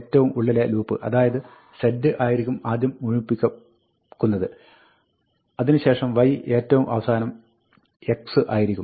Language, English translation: Malayalam, The innermost for, so z will cycle first, then y, and then x will cycle slowest